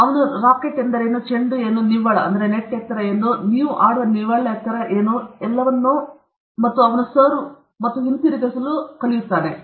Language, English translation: Kannada, He will tell him what is the racket, what is a ball, what is the height of the net, what is the height of the net at which you play and all that, and then he will start returning this serve and all, that he will learn